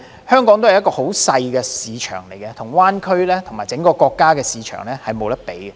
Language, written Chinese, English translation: Cantonese, 香港畢竟是一個小市場，無法與灣區和整個國家的市場相比。, After all Hong Kong is a small market which is no match for the Bay Area or the entire country